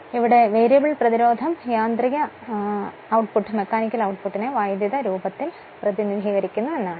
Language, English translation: Malayalam, In which the variable resistance represents the mechanical output in electrical form; that means, your what you call